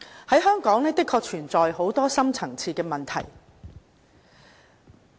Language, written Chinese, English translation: Cantonese, 香港的確存有很多深層次問題。, True there are a whole lot of deep - rooted problems in Hong Kong